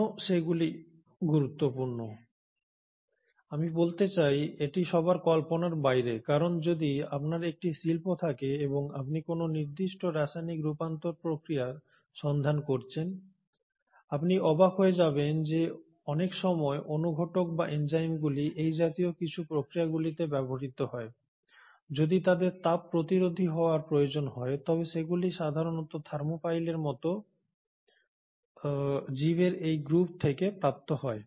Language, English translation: Bengali, Now why they are important, I mean, itÕs no oneÕs guess that if you are having an industrial setup and you are looking for a certain chemical conversion process, you will be astonished that a many a times a lot of catalysts or enzymes which are being used in some of these industrial processes, if they need to be heat resistant are usually derived from these group of organisms like the thermophiles